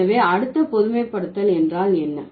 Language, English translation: Tamil, So, what is the next generalization